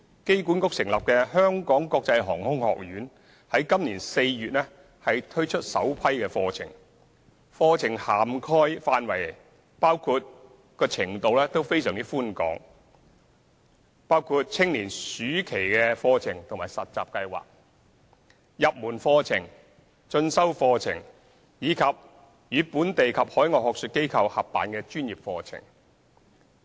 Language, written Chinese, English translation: Cantonese, 機管局成立的香港國際航空學院於今年4月推出首批課程，課程涵蓋範圍及程度廣闊，包括青年暑期課程及實習計劃、入門課程、進修課程，以及與本地及海外學術機構合辦的專業課程。, The Hong Kong International Aviation Academy HKIAA established by AA rolled out its first batch of aviation - related programmes in April this year . The programmes cover a wide scope and different levels of courses including summer youth courses and internship programmes introductory courses further studies and professional courses co - organized with local and overseas academic institutions